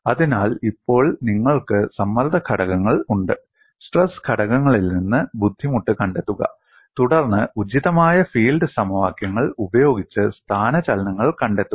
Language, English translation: Malayalam, So, now, you have stress components; from stress components, find out strain, then displacements using the appropriate field equations